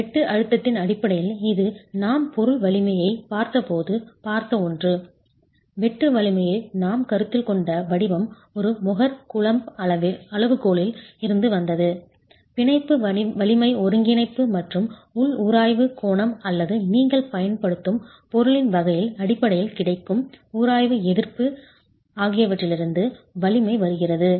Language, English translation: Tamil, In terms of the shear stress, again, this is something we had seen when we looked at the material strength, that the format in which we are considering the sheer strength is from a more coulum criterion where the strength comes from the bond strength cohesion and the internal friction angle or the frictional resistance available given the type of material that you are using